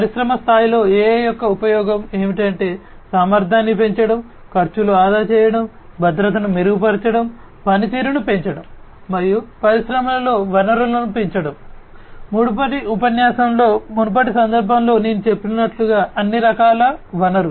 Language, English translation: Telugu, The usefulness of AI in the industry scale are to increase the efficiency, save costs, improve security, augment performance and boost up resources in the industries; resources of all kind as I said in a previous context in a previous lecture before